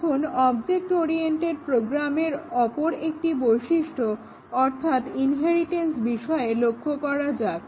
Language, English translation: Bengali, Now, let us look at another important feature of object oriented programs which is inheritance